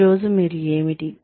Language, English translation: Telugu, What are you, today